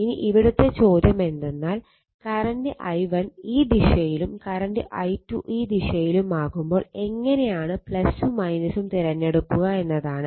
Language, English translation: Malayalam, Now, question is is current i1 is direction and i 2 is direction direction in this direction